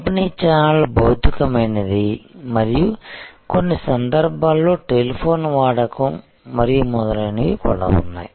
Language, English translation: Telugu, So, the distribution channel was physical and in some cases there where use of telephone and so on